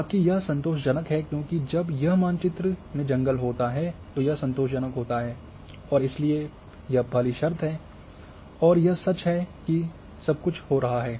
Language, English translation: Hindi, Rest is satisfying when because this map is all is having forest it is satisfying and therefore the first condition and therefore it is true and everything is getting 1